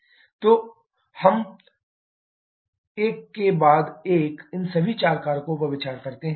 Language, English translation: Hindi, So now let us consider all these four factors one after the other